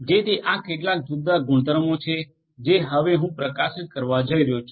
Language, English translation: Gujarati, So, these are some of these different properties that I am going to highlight now